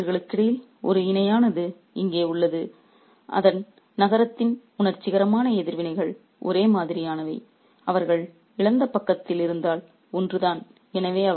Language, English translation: Tamil, There is a parallel here between these two men whose emotional reactions to the city are the same, one on the same if they are on the losing side